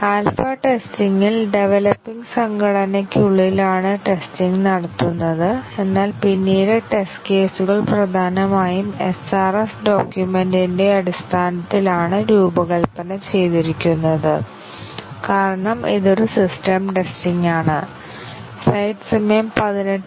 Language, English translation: Malayalam, In alpha testing, the testing is carried out within the developing organization, but then the test cases are largely designed based on the SRS document, because this is a system testing